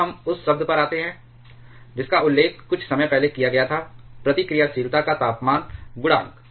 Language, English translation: Hindi, Now, we come to the term which may was mentioned shortly before, temperature coefficient of reactivity